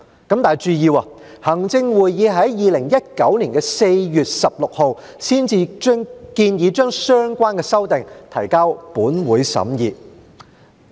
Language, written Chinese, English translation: Cantonese, 請注意，行政會議於2019年4月16日才建議將相關修訂提交本會審議。, Mind you it was not until 16 April 2019 that the Executive Council recommended submitting the relevant amendments to this Council for scrutiny